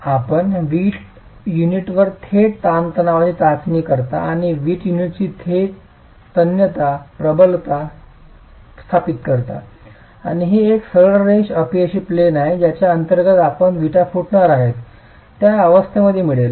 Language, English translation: Marathi, You do a direct tension test on the brick unit and establish the direct tensile strength of the brick unit and it's a straight line failure plane that you get for the condition under which the brick is going to split